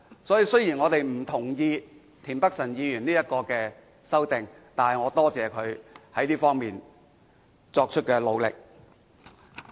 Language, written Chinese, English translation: Cantonese, 因此，雖然我們不同意田北辰議員的修正案，但仍感謝他在這方面作出的努力。, So even though we disagree with Mr Michael TIENs amendment we appreciate the effort made by him in this aspect